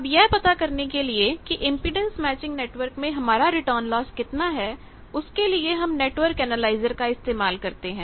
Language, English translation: Hindi, Now, this whole thing that how much is your return loss of any impedance matching network, you can use network analyser